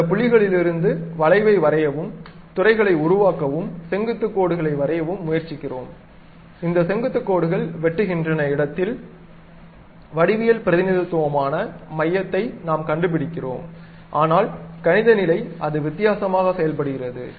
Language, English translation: Tamil, From those points, we try to draw the arc and construct sectors and draw normals, where these normals are intersecting, then we locate the center that is geometric representation, but mathematical level it works in a different way